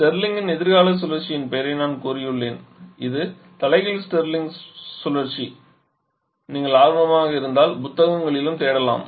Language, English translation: Tamil, And i have told and mention the name of the Starling future cycle, which is the reverse Starling cycle, if you are interested you can search in the books for the same as well